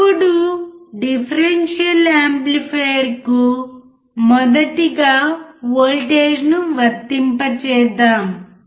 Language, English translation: Telugu, Now, let us apply first voltage to the differential amplifier